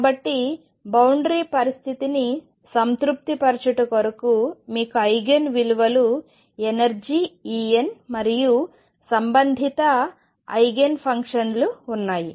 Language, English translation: Telugu, So, the satisfaction of boundary condition gives you the Eigen values energy E n and the corresponding Eigen functions